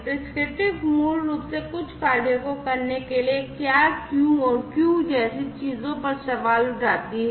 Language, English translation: Hindi, Prescriptive basically questions things like, what and why to perform some of the actions